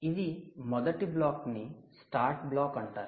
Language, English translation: Telugu, right, this is the start block